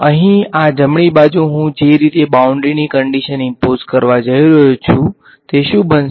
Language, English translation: Gujarati, This right hand side over here is going to be the way I am going to impose the boundary condition